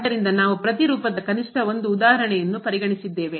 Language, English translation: Kannada, So, we have considered at least 1 example of each nature